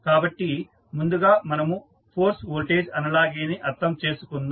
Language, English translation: Telugu, So, let us first understand the force voltage analogy